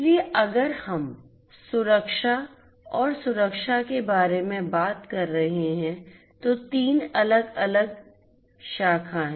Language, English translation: Hindi, So, if we are talking about safety and security, there are three different prongs